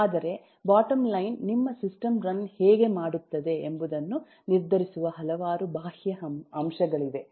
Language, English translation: Kannada, but the bottom line is there are several external factors which decide how your system run